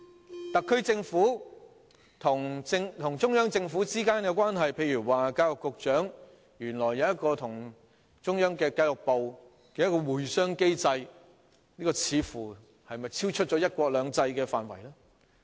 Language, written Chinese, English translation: Cantonese, 關於特區政府與中央政府之間的關係，例如教育局局長原來跟中央的教育部有一個"會商機制"，這是否超出"一國兩制"的範圍呢？, Regarding the relationship between the SAR Government and the Central Government for instance it turns out that the Secretary for Education has a consultation mechanism with the State Ministry of Education . Is this beyond the scope of one country two systems?